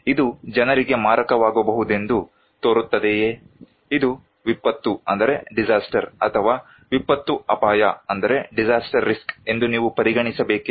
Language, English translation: Kannada, Does it look like that this could be fatal for the people, should you consider this is as disaster or disaster risk